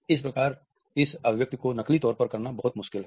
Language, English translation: Hindi, Again, it is very difficult to fake this expression